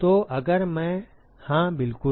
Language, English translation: Hindi, So, if I, yes exactly